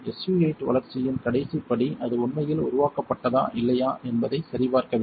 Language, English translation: Tamil, The last step in SU 8 development is to check whether or not it actually developed